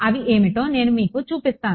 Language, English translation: Telugu, I will show you what their